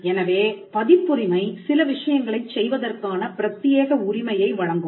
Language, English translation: Tamil, So, a copyright would confer an exclusive right to do certain set of things